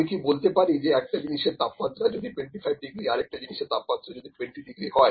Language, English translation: Bengali, So, can I say that if the temperature is 25 degrees for one body and 20 degrees for another body